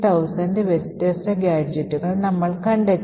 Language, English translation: Malayalam, We find over 15000 different gadgets